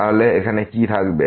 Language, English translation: Bengali, So, what will remain here